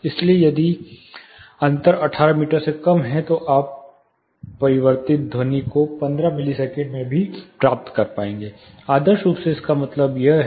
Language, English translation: Hindi, So, if the difference is less than 18 meters, you will be able to receive the reflected sound also in 15 millisecond this is what ideally it means